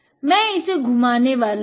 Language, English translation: Hindi, I am going to spin this one